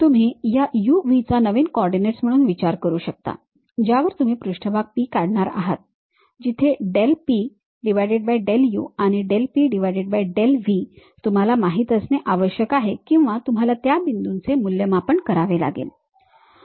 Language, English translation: Marathi, You can think of this u, v as the new coordinate system on which you are going to draw a surface P where del P by del u and del P by del v you need to know or you have to evaluate at that points